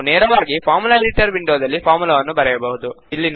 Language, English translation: Kannada, We can directly write the formula in the Formula Editor window